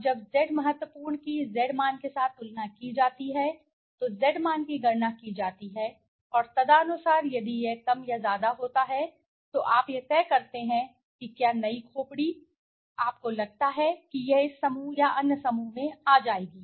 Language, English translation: Hindi, Now that Z critical is compared with the Z value and calculated Z value and accordingly if it is more or less you decide whether the new skull, suppose you got it will fall into this group or the other group